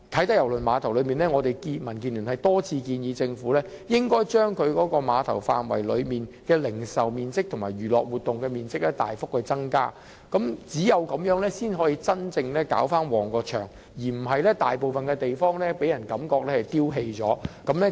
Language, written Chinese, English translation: Cantonese, 所以，民主建港協進聯盟多次建議政府應該將啟德郵輪碼頭範圍內的零售面積和娛樂活動面積大幅增加，只有這樣才可以真正令該地方興旺起來，而不是令人感覺大部分的地方像被丟棄了。, In this connection the Democratic Alliance for the Betterment and Progress of Hong Kong has repeatedly proposed that the Government should substantially enlarge the retail and recreational areas within KTCT for only in this way can the place be truly enlivened rather than giving people the impression that most parts of it are seemingly deserted